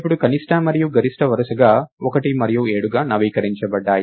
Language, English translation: Telugu, Now min and max are updated to be 1 and 7 respectively